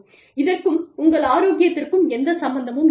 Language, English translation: Tamil, It has nothing to do with your health